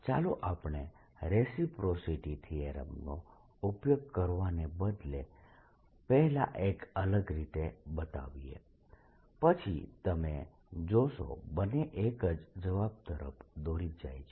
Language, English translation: Gujarati, let's just first use a different trick, rather than we using reciprocity's theorem, and then we'll show that the two lead to the same answer